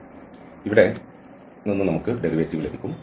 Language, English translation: Malayalam, So, from here we will get the derivative put there